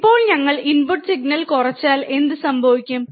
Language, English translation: Malayalam, Now, if what happens if we decrease the input signal